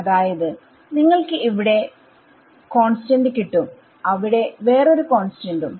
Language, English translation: Malayalam, So, what happens is that you get one constant here and another constant here